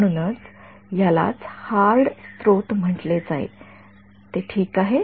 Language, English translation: Marathi, So, this is what would be called a hard source right is it fine